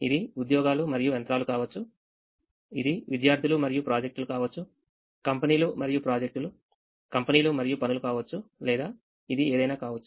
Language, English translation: Telugu, it can be jobs and machines, it can be students and projects and so on, can be companies and projects, companies and tasks